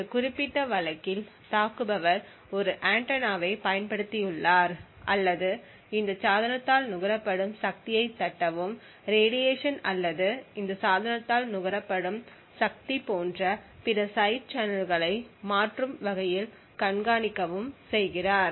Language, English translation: Tamil, So in this particular case the attacker we assume has used an antenna or has been able to tap into the power consumed by this device and monitor dynamically the radiation or other side channels such as the power consumed by this device